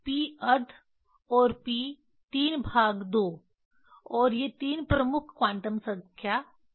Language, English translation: Hindi, p half and p 3 by 2 and these three principal quantum number, there are others also